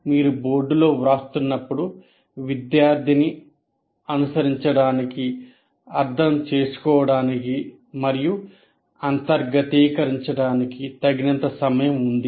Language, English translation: Telugu, While you are writing on the board, the student has enough time to follow, understand, and internalize